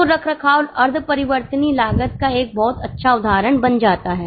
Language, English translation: Hindi, So, maintenance becomes a very good example of semi variable costs